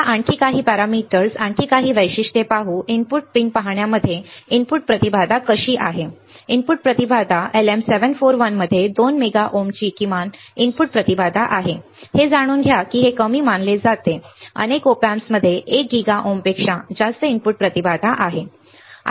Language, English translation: Marathi, Let us see some more parameters some more characteristics how the characteristics is input impedance in looking into the input pins is input impedance LM741 has a minimum input impedance of 2 mega ohms know that this is considered low many Op Amps have input impedance over 1 giga ohms ok